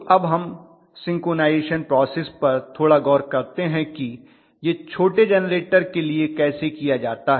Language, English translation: Hindi, So let us probably slightly take a look at the synchronization process how it is done for smaller generators